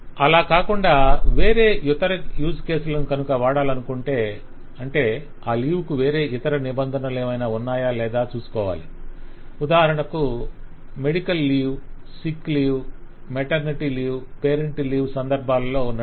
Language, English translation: Telugu, or there needs to be further use cases to be used And we find that some of the leave have other conditions attached and that is the situation of medical leave, the sick leave, as we mention there, the maternity leave, parental leave and so on